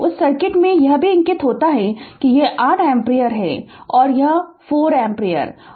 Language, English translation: Hindi, This is also marked in that circuit this is 8 ampere and this is 4 ampere